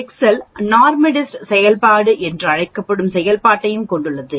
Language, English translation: Tamil, Excel also has the function that is called NORMSDIST function